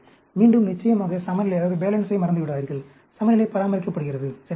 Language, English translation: Tamil, Again, of course, do not forget the balance, balance is maintained, right; that is very very important